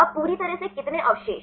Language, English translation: Hindi, Now totally how many residues